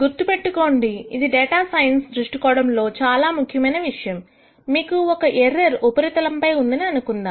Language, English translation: Telugu, Now, remember this is something important to note particularly from a data science viewpoint because let us say this is your error surface